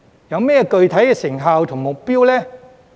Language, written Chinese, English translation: Cantonese, 有甚麼具體成效和目標呢？, What specific results and goals have been achieved?